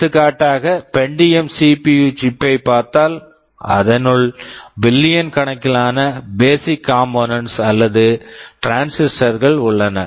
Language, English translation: Tamil, For example, if we look at the Pentium CPU chip there are close to billions of basic components or transistors inside the chip